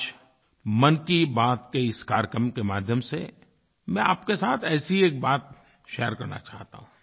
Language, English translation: Hindi, Today, in this episode of Mann Ki Baat, I want to share one such thing with you